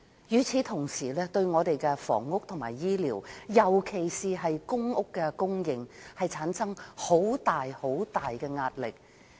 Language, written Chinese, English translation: Cantonese, 與此同時，單程證對本港的房屋及醫療，尤其公屋的供應產生極大壓力。, Meanwhile the OWPs scheme is imposing enormous pressure on Hong Kongs health care and housing especially the supply of public housing